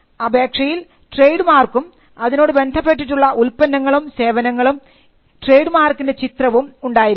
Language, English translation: Malayalam, The application should have the trademark, the goods and services relating to the trademark, the graphical representation of the trade mark